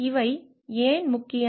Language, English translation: Tamil, Why these are important